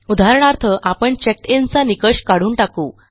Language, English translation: Marathi, For example, let us remove the Checked In criterion